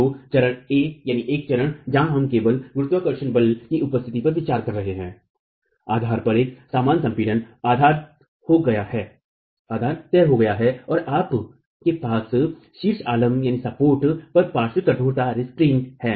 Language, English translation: Hindi, So, stage A where we are considering only the presence of gravity forces, uniform compression at the base, the base is fixed and you have the lateral restraint at the top support